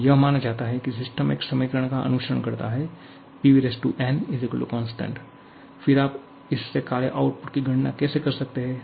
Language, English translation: Hindi, Now, here it is assumed that the system follows an equation, PV to the power n = constant, then how can you calculate the work output from this